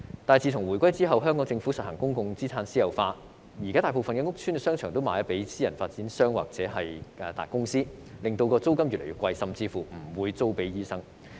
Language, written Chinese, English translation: Cantonese, 但是，自從回歸後，香港政府實行公共資產私有化，現在大部分屋邨商場售予私人發展商或大公司，令租金越來越昂貴，甚至乎不租給醫生。, However since the reunification the Hong Kong Government has privatized public assets and sold most shopping malls in public housing estates to private developers or large enterprises . This has resulted in increasingly high rents and some premises were even not let out to doctors